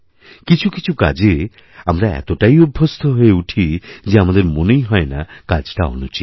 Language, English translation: Bengali, Sometimes certain things become a part of our habits, that we don't even realize that we are doing something wrong